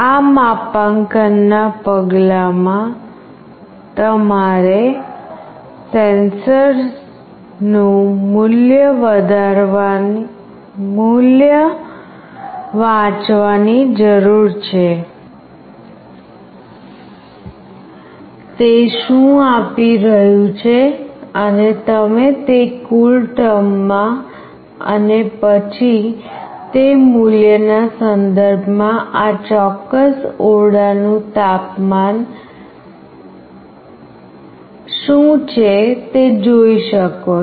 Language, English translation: Gujarati, In this calibration step, you need to read the current value of the sensor, what it is giving and you can see that in CoolTerm and then with respect to that value, what is the current temperature of this particular room